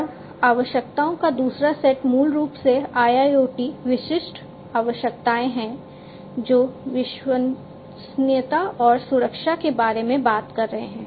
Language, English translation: Hindi, And the second set of requirements are basically the IIoT specific requirements, which talk about reliability and safety